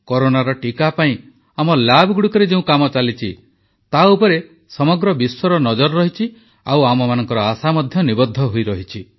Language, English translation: Odia, Work being done in our labs on Corona vaccine is being keenly observed by the world and we are hopeful too